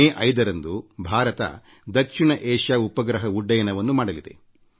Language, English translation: Kannada, On the 5th of May, India will launch the South Asia Satellite